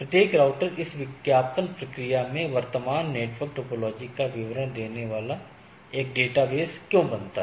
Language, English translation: Hindi, Why in this advertisement each router creates a database detailing the current network topology